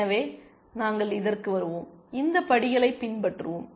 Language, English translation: Tamil, So, we will come to this so, let us follow these steps